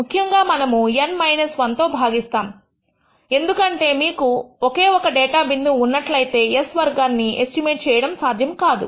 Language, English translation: Telugu, Typically we divide by N minus 1 to indicate that if you have only one data point; it is not possible to estimate s squared